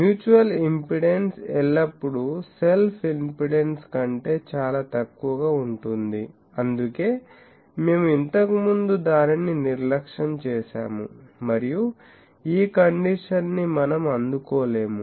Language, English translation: Telugu, Mutual impedance is always much much lower than self impedance, that is why we were earlier neglecting it and this condition we cannot meet